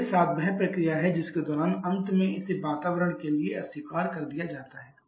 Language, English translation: Hindi, 6 to 7 is the process during which it is finally getting rejected to the surrounding